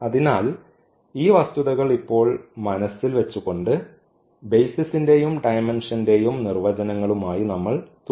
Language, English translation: Malayalam, So, keeping these facts in mind now we will continue with the definitions of the basis and the dimensions